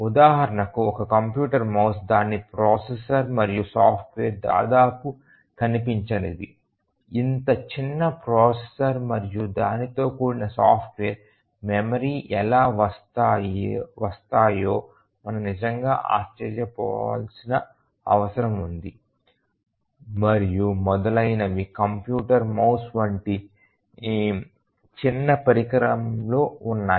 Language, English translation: Telugu, For example, a computer mouse, the processor and the software that is there it is almost invisible that we may have to really wonder that how come such a small processor and the accompanied software memory and so on is there in a small device like a computer mouse